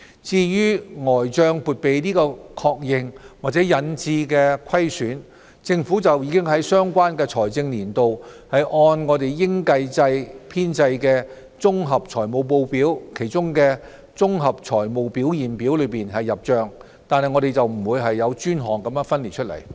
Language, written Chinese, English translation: Cantonese, 至於呆帳撥備的確認或引致的虧損，政府已在相關財政年度按應計制編製的"綜合財務報表"中的綜合財務表現表入帳，惟沒有專項分列出來。, The recognition of provision for doubtful debts and losses so arising is dealt with in the Consolidated Statement of Financial Performance of the Accrual - based consolidated financial statements of the relevant financial year while it is not shown as a separate item in the statements